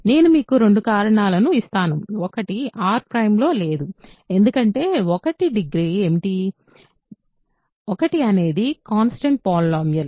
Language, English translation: Telugu, I will give you two reasons; one is not in R prime right, because what is the degree of 1; remember 1 is the constant polynomial